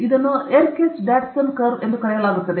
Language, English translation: Kannada, This is called Yerkes Dodson curve